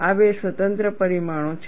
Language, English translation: Gujarati, These are two independent parameters